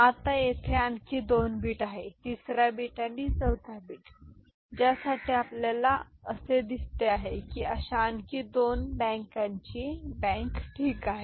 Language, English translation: Marathi, Now 2 more bits are there 3rd bit and 4th bit for which you see another two such bank of adders are there ok